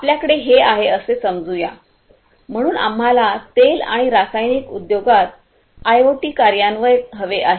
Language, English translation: Marathi, Let us say that we have, so we want IoT implementation in the oil and chemical industry right